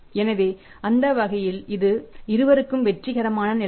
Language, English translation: Tamil, So, that way it is a Win Win situation for both